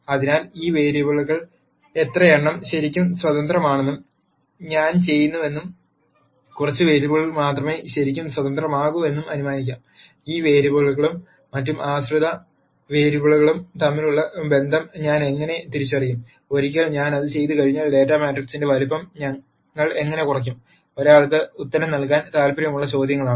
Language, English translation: Malayalam, So, how do I nd out how many of these vari ables are really independent and let us assume that I do and that only a few variables are really independent, then how do I identify the relationship between these variables and the other dependent variables and once I do that how do we actually reduce the size of the data matrix and so on; are questions that one might be interested in answering